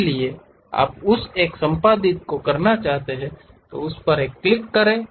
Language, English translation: Hindi, So, you want to really edit that one, click that one